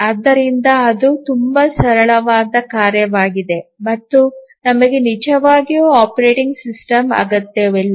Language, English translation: Kannada, So, that is a very simple task and we do not really need an operating system